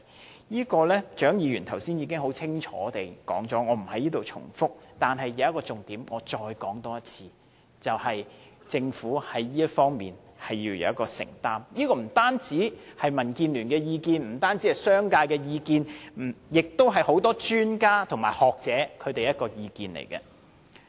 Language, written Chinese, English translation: Cantonese, 關於這次會談的內容，蔣議員剛才已經很清楚地詳述，我不在此重複，但我要重申一個重點，便是政府在這方面要有所承擔，這不僅是民建聯和商界的意見，同樣是很多專家和學者的意見。, Dr CHAING has given a detailed account of the meeting so I would not make any repetition here . Yet I would like to reiterate an important point that is the Government has to make a commitment in this regard . It is not a view presented by only DAB and the business sector but one shared by many experts and scholars